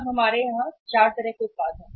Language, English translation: Hindi, Now we have the four kind of the products here